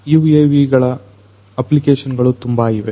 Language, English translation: Kannada, UAVs have lot of different applications